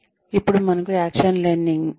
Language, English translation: Telugu, Then, we have action learning